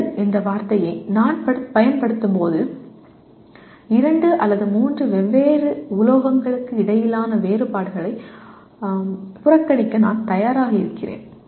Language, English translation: Tamil, When I use the word metal, I am willing to ignore differences between two or three different metals